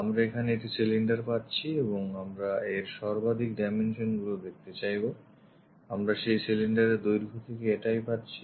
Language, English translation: Bengali, We have a cylinder here and we would like to visualize that maximum dimensions, what we are having is this length of that cylinder